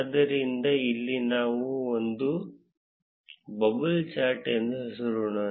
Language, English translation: Kannada, So, here we have lets name it as bubble chart